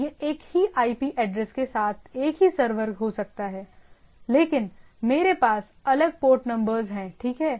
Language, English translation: Hindi, So, it may be the same server same IP address, but I have a different port numbers, right